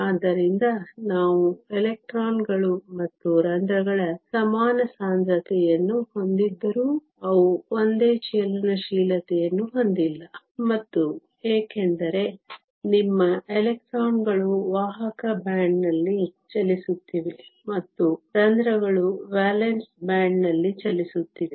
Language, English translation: Kannada, So, even though we have equal concentration of electrons and holes, they do not have the same mobility; and this is because your electrons are moving in the conduction band, and the holes are moving in the valance band